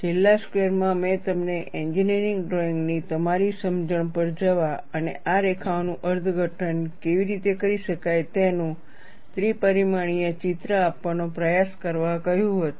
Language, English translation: Gujarati, In the last class, I had asked you to go to your understanding of engineering drawing, and try to give, a three dimensional picture of how these lines can be interpreted